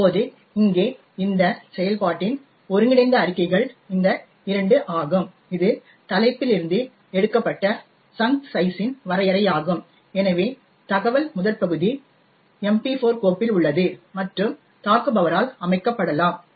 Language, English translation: Tamil, Now the integral statements in this function over here are these 2 here it is definition of chunk size which is taken from the header, so the header is present in the MP4 file and could be set by the attacker